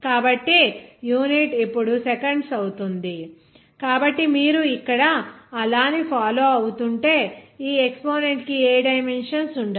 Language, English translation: Telugu, so, in that case, the unit will be seconds Now as we know that the exponent will not have any dimension